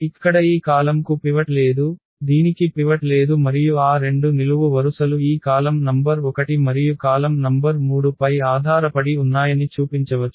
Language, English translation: Telugu, These column here does not have a pivot this does not have a pivot and one can show that those two columns depend on this column number 1 and column number 3